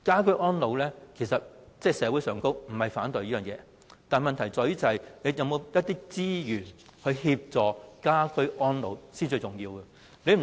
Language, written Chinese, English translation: Cantonese, 可是，社會並非反對居家安老服務，問題在於政府有否資源協助居家安老服務呢？, Nonetheless we are not opposing to home care services for the elderly . The question is does the Government provide the necessary resources for elderly home care services?